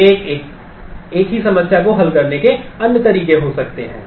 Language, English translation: Hindi, So, there could be different other ways of solving the same problem